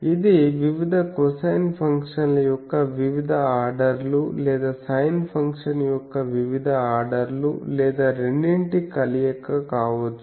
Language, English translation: Telugu, So, it can be various cos cosine various orders of cosine functions or various orders of sin function or combination of both etc